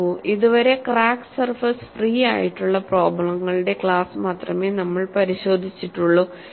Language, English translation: Malayalam, See, so far, we have looked at only those class of problems, where the crack surfaces are free